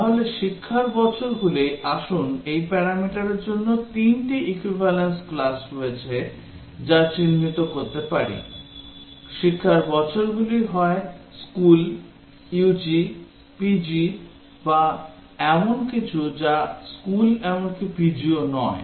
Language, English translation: Bengali, So, the years of education, let us say we identify that there are three equivalence class for this parameter; years of education is either school, UG, PG or something which is not even school not even PG